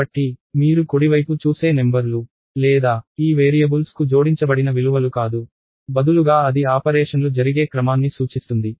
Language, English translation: Telugu, So, the numbers that you see on the right side or not the values attached to these variables, instead that indicates the order in which the operations will be done